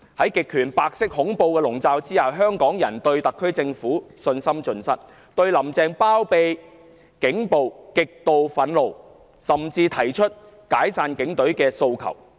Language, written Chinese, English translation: Cantonese, 在極權白色恐怖的籠罩下，香港人對特區政府信心盡失，對"林鄭"包庇警暴極度憤怒，甚至提出"解散警隊"的訴求。, Under the reign of white terror and totalitarianism Hongkongers have lost their faith in the SAR Government are fiercely indignant over Carrie LAMs condoning of police brutality and call for the disbandment of the Police Force